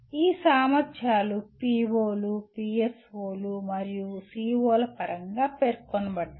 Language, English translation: Telugu, These abilities are stated in terms of POs, PSOs and COs